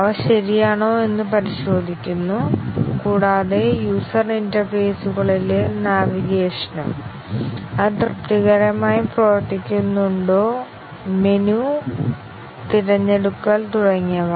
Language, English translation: Malayalam, They are checked whether they are okay, and also navigation in the user interfaces; are it, is it satisfactorily working, menu selections and so on